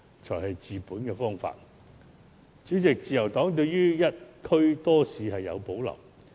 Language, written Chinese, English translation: Cantonese, 這才是治本的方法。主席，自由黨對於"一區多市"有所保留。, President the Liberal Party has reservations about the recommendation of multiple bazaars in a district